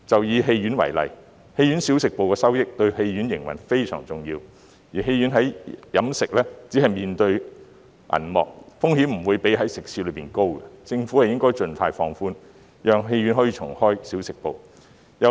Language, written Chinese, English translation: Cantonese, 以戲院為例，小食部的收益對戲院營運相當重要，而觀眾在戲院飲食時只會面對銀幕，風險不比食肆高，因此政府應該盡快放寬限制，讓戲院可以重開小食部。, The audience will only be facing the screen when having snacks and drinks in the cinema . The risk is no higher than that in a restaurant . Hence the Government should relax the restriction as soon as possible to allow cinemas to reopen their snack bars